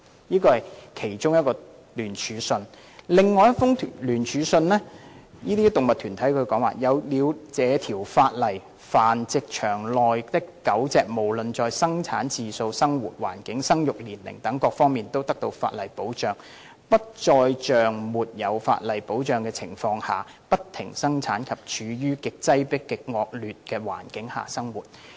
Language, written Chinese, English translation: Cantonese, "有動物團體在另一封聯署信內表示："有了這條法例，繁殖場內的狗隻無論在生產次數、生活環境、生育年齡等各方面都得到法例保障，不再像沒有法例保障的情況下，不停生產及處於極擠迫的惡劣環境下生活。, In another joint letter some animal organizations stated that after the enactment of the legislation the dogs in the breeding facilities are protected by law in terms of the number of litters living environment and breeding age; they no longer have to breed incessantly and live under very crowded and adverse conditions